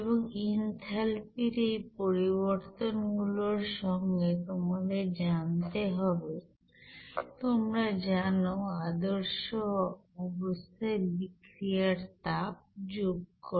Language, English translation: Bengali, And then along with this differences in enthalpies you have to you know add that heat of reaction at standard condition